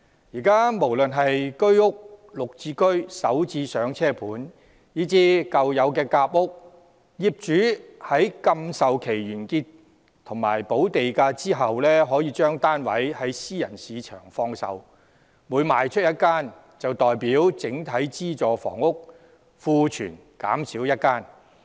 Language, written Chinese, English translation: Cantonese, 現時無論是居屋、綠表置居計劃、港人首次置業先導項目，以至舊有的夾心階層住屋計劃，業主在禁售期完結及補地價後，可把單位於私人市場放售，每賣出1間，便代表整體資助房屋庫存減少1間。, At present owners of subsidized sale flats―whether under HOS the Green Form Subsidized Home Ownership Scheme the Starter Homes Pilot Scheme for Hong Kong Residents or the now obsolete Sandwich Class Housing Scheme―can freely put their flats up for sale in the private market after paying the relevant premium at the end of the alienation restriction period